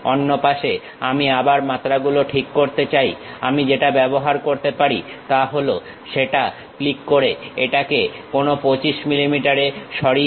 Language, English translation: Bengali, On the other side, I would like to adjust the dimensions again what I can use is, click that move it to some 25 millimeters